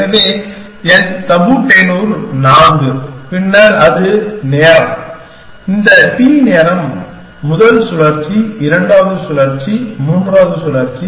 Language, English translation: Tamil, So, my tabu tenure is 4 then and that is time, this t is time, the first cycle, the second cycle, the third cycle